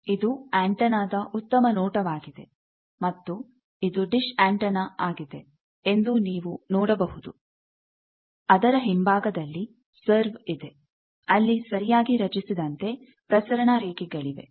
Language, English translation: Kannada, This is a better view of that antenna and you can see it is a dish antenna, but there are serve on the back of it, there are transmission lines properly designed